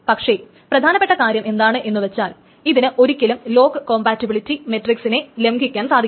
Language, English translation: Malayalam, And especially something is that it can never violate the lock compatibility matrix